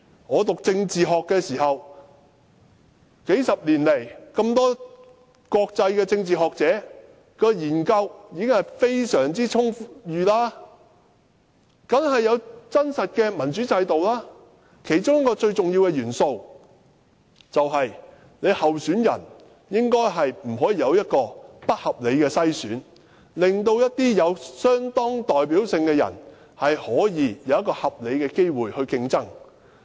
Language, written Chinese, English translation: Cantonese, 我唸政治學的時候，數十年來這麼多國際政治學者的研究已經非常充裕，當然有真實的民主制度，其中一個重要元素，便是不應該不合理地篩選候選人，令一些有相當代表性的人可以有合理的競爭機會。, My political science study tells me that there are ample researches conducted by many international political scientists in the past few decades . These studies show that genuine democratic systems do exist . One important element in these systems is that there should not be any unjustifiable screening of election candidates to deprive people with a high level of representation of a reasonable chance to compete in an election